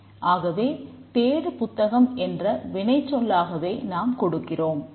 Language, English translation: Tamil, We have to give search book which is a verb form